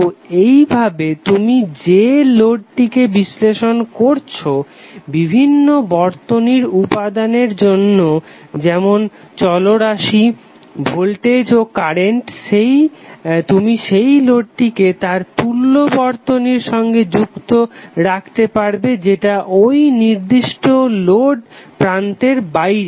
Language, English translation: Bengali, So in that way the load which you are analyzing for various circuit elements like the variables like voltage and current, you will keep that load connected with the equivalent of the circuit which is external to that particular load terminal